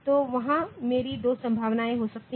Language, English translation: Hindi, So, there I can have two possibilities like